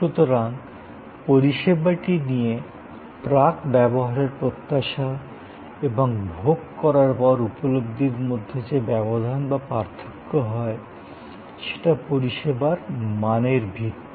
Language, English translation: Bengali, So, this difference between the or the gap between the pre consumption expectation and post consumption perception is the foundation of service quality